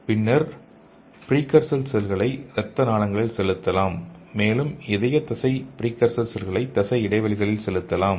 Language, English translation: Tamil, Then precursor cells can be pumped in to the blood vessels and heart muscles precursor cells can injected into the muscle spaces